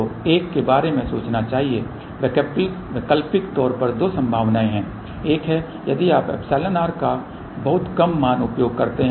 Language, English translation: Hindi, So, one should think about the alternate thing the two possibilities are there , one is if you use a very small value of epsilon r